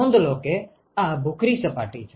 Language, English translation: Gujarati, Note that this is a gray surface